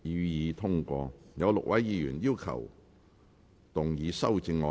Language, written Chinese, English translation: Cantonese, 有6位議員要動議修正案。, Six Members will move amendments to this motion